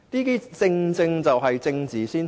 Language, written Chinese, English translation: Cantonese, 這正正就是政治先行。, This is precisely a case of politics override